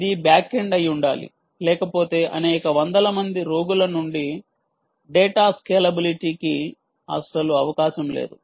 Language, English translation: Telugu, remember, it has to be back end, otherwise scalability of data from several hundreds of patients is not a possibility at all